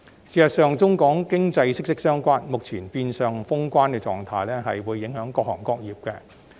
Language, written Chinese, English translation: Cantonese, 事實上，中港經濟息息相關，所以目前變相封關的狀態影響到各行各業。, In fact given the deep economic ties between Hong Kong and the Mainland the present state of de facto closure of the boundary has a bearing on various trades and professions